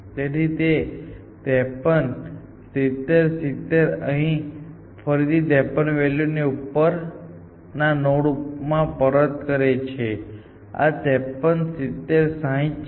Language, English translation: Gujarati, So, this is 53, 70, 70, so again it backs up 53 here; this is 53, 70, 60